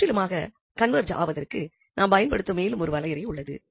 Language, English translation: Tamil, So, there is another definition which we use for absolute convergent